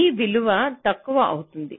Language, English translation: Telugu, this value will become less